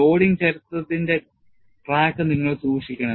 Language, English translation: Malayalam, You have to keep track of the loading history